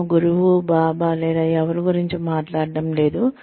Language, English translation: Telugu, I am not talking about, a guru, or a baba, or anyone